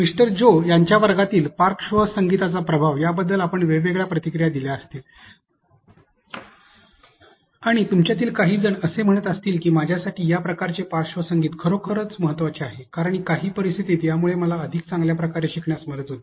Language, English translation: Marathi, You might have given different suggestions about they effect of the background music in Mister Joe’s class, and some of you might have say that for me this type of music or background music is actually important because it helps me to be able to learn better in some situations